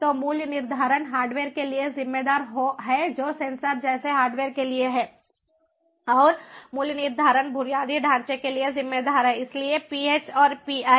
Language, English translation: Hindi, so pricing attributed to the hardware, which is for hardware like sensors, and the pricing attributed to infrastructure, so ph and pi